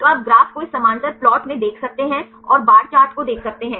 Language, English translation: Hindi, So, you can see the graph this parallel plot and you can see the bar chart